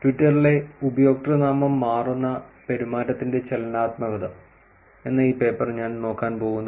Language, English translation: Malayalam, I am going to look at this paper called 'On the dynamics of username changing behavior on Twitter'